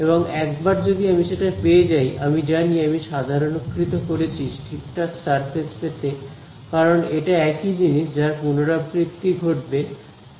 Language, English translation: Bengali, And, once I get that I know that I have just normalised to get the correct surface thing because, it is the same thing that will be repeated at every theta